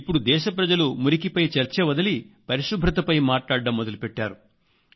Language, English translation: Telugu, Now people of the country have started discussion on cleanliness, leaving behind the filth